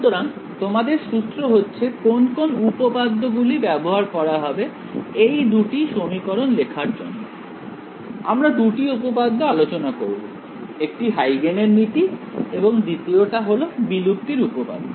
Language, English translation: Bengali, So, your hint is which of the theorems will be used to write down these 2 equations, we will discuss 2 theorems, one was Huygens principal the second was extinction theorem these 2 equations are which ones